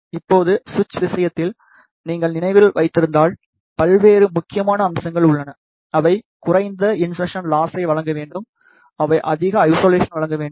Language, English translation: Tamil, Now, if you remember in case of switch there are various important features like, they should provide the low insertion loss, they should provide high isolation